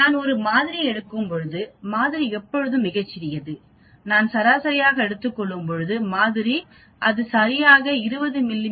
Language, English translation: Tamil, When I take a sample, sample is always very small and when I take an average of that sample it will not be exactly 20 mm the average may be 19